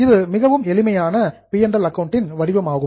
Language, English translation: Tamil, This is a very simple format of P&L